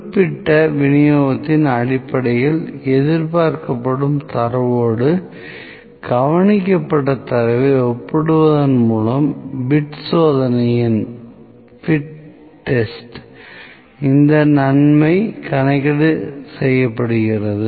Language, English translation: Tamil, Calculation of this goodness of fit test is by comparison of the observed data with a data expected based upon particular distribution